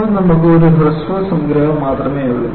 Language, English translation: Malayalam, Right now, we only have a short summary